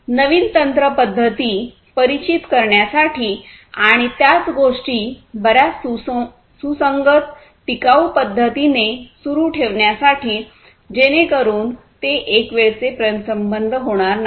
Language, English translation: Marathi, And, also to introduce newer techniques methods etc etc and continue the same things in a much more consistent sustainable manner, so that you know it does not become a one time kind of affair